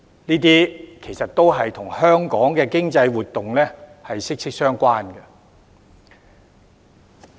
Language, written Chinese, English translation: Cantonese, 這些其實都與香港的經濟活動息息相關。, In fact these are closely related to Hong Kongs economic activities